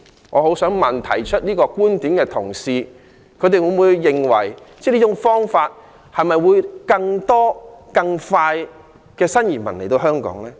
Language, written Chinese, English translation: Cantonese, 我很想問，提出這個觀點的同事，會否認為這種方法會令更多新移民更快來到香港呢？, I would really like to ask those colleagues who raise this view Do you think this approach will let more new arrivals come to Hong Kong earlier?